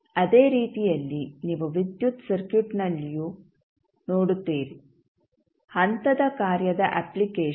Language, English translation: Kannada, So, in the same manner you will see in the electrical circuit also; the application of step function